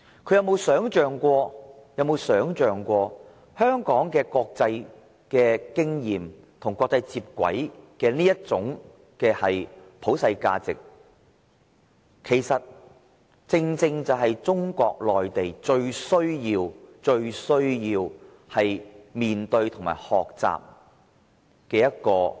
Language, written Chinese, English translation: Cantonese, 他可有想過香港的國際經驗，以及與國際接軌的這種普世價值，正正是中國內地最需要面對和學習的。, Has it ever come to his mind that Hong Kongs experience in and its universal values being compatible with the international arena are aspects which Mainland China badly needs to address and learn